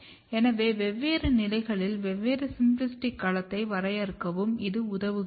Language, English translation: Tamil, So, this also helps in defining different symplastic domain at different stages